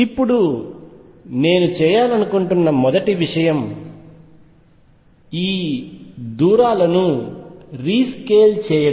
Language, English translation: Telugu, Now, first thing I want to do is rescale the distances